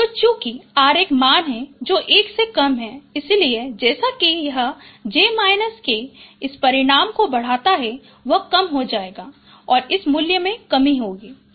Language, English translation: Hindi, So as the j minus k this magnitude increases it will be it will be reducing this value will be decreasing